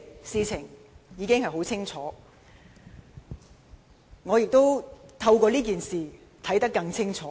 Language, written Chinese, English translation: Cantonese, 事情已經很清楚，我也透過這件事看得更清楚。, The picture has become clear and I can also see things more clearly through this incident